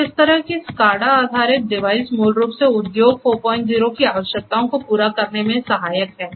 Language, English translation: Hindi, So, this kind of device SCADA based device basically is helpful in order to achieve the requirements of industry 4